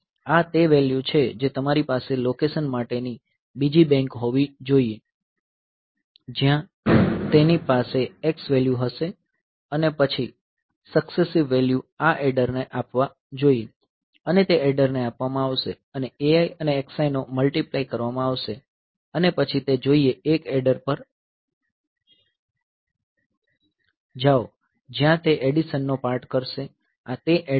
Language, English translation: Gujarati, So, these are the a values you should have another bank of locations where it will have the x values and then the successive values should be fed to this adder they will be fed to the adder and a i and x i that will do that multiplication sorry this is a multiplier